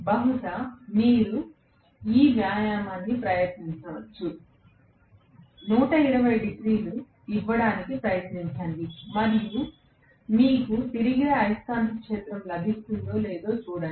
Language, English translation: Telugu, Maybe you can try this exercise, try to give 180 degrees and see whether you will get the revolving magnetic field at all